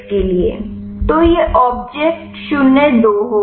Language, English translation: Hindi, So, that will be obaj 02